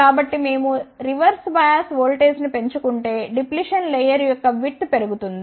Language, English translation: Telugu, So, if we increase the reverse bias voltage the width of the depletion layer will increase